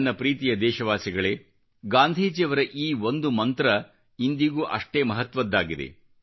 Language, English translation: Kannada, My dear countrymen, one of Gandhiji's mantras is very relevant event today